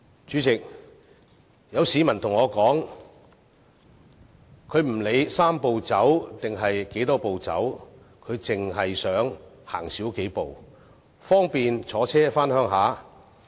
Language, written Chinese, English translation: Cantonese, 主席，有市民對我說不管"三步走"還是有多少步要走，他只想少走數步，方便他乘車回鄉。, President a member of the public has told me that no matter whether it is a Three - step Process or how many steps have to be taken he just wants to walk fewer steps and have a convenient ride heading back to his hometown